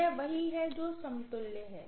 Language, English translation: Hindi, This is what is the equivalent